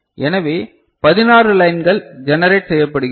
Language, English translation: Tamil, So, you have got 16 lines generated